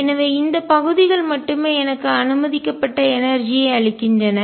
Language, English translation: Tamil, So, only these regions give me energy that is allowed